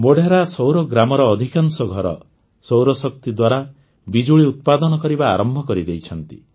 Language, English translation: Odia, Most of the houses in Modhera Surya Gram have started generating electricity from solar power